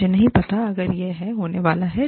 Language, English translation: Hindi, I do not know, if it is going to happen